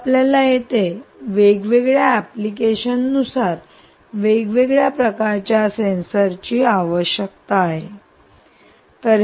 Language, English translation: Marathi, you can you different types of sensors for different applications